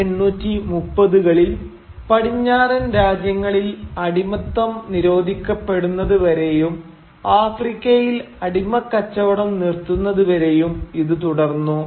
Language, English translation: Malayalam, And this kept on going till slavery was banned in the West in the 1830’s and the slave trade from Africa ended